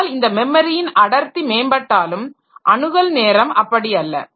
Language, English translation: Tamil, So, this memory though density is improving but access time and all, so that is still an issue